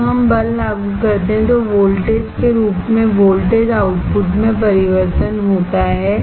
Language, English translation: Hindi, When we apply force, there is a change in the voltage output change is in the form of voltage